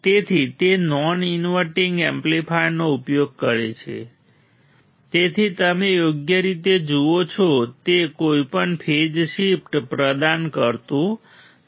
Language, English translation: Gujarati, So, it uses a non inverting amplifier hence does not provide any phase shift you see right